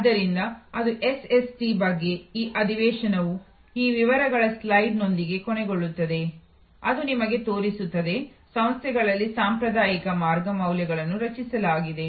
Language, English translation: Kannada, So, that is all about SST, this session I will end with this particulars slide which shows you, the traditional way value has been created in organizations